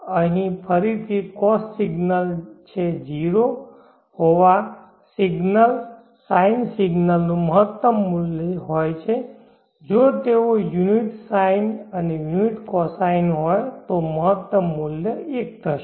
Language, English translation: Gujarati, Here again because signal is having 0 sine signal is having a maximum value if they are unit sine and unit cosine